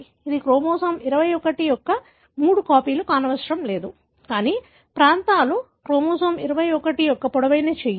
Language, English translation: Telugu, It need not be three copies of chromosome 21, but regions of, the long arm of chromosome 21